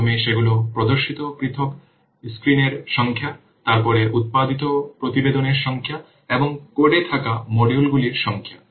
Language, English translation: Bengali, First, the number of separate screens they are displayed, then the number of reports that are produced and the number of modules they are present in the code